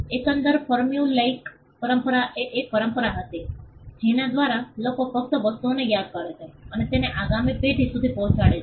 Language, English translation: Gujarati, The overall formulaic tradition was a tradition by which people just memorized things and passed it on to the next generation